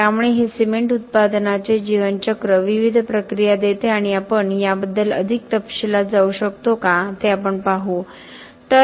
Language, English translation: Marathi, So, this gives the life cycle of the cement production the different processes and we will see if you can get into more detail of this